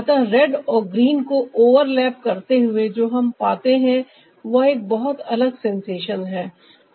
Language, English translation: Hindi, by the ah overlapping red and green, what we are getting is a very difference sensation